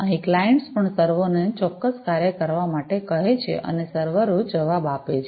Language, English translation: Gujarati, Here, also the clients ask the servers to do certain work and the servers respond back